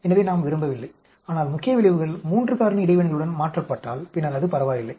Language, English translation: Tamil, So, we do not want, but if the main effects are aliased with 3 factor interactions, then it is ok